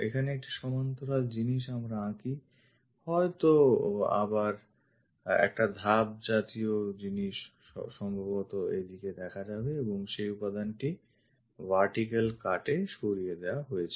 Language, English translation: Bengali, A parallel thing here if we are drawing perhaps again it goes a step kind of thing in this way possibly and this material is removed all the way into vertical cut